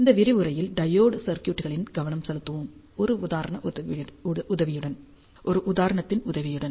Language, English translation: Tamil, We will focus on the diode circuits in this lecture moving forward with the help of an example